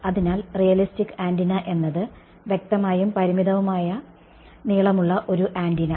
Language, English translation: Malayalam, So, realistic antenna is; obviously, some an antenna where the length is finite ok